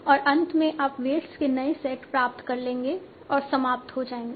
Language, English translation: Hindi, And finally you will end up with your set of weights